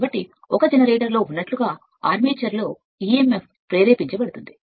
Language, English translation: Telugu, So, that emf is induced in the armature as in a generator right